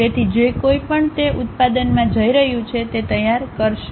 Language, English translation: Gujarati, So, whoever so going to manufacture they will prepare that